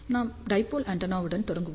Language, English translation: Tamil, So, you can think about a dipole antenna like this